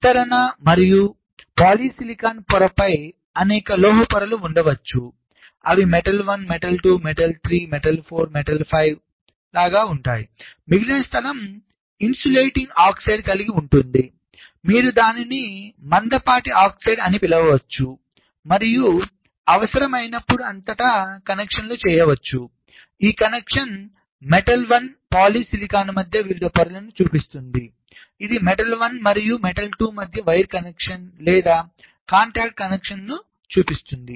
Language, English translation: Telugu, and just above diffusion and polysilicon layer there can be several metal layers will be metal one, metal two, three, four, five and the remaining space there is insulating oxide, you call it thick oxide and as then, when required, there can be connections across layers, like this connection shows between metal one, polysilicon